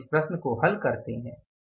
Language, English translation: Hindi, Now let's do this problem